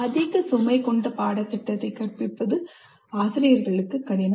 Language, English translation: Tamil, And they find it difficult to instruct an overloaded curriculum